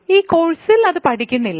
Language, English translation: Malayalam, In this course, we will not consider this